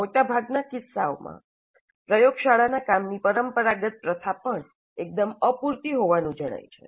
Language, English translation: Gujarati, And conventional practice in the laboratory work is also found to be quite inadequate in most of the cases